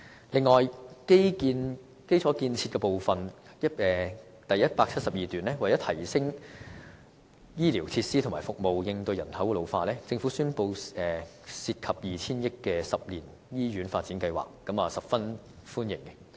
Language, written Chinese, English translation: Cantonese, 此外，有關基礎建設部分，在第172段指出，為提升醫療設施和服務並應對人口老化，政府宣布一個涉及 2,000 億元的10年醫院發展計劃，我便是十分歡迎的。, Moreover with respect to infrastructure the Budget has pointed out in paragraph 172 that to enhance health care facilities and services in the face of an ageing population the Government announced the 10 - year hospital development plan of 200 billion . I highly welcome this announcement